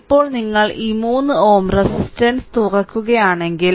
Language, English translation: Malayalam, Now, if you open this 3 ohm resistance